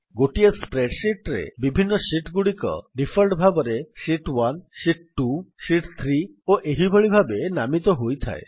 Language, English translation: Odia, If you see in a spreadsheet, the different sheets are named by default as Sheet 1, Sheet 2, Sheet 3 and likewise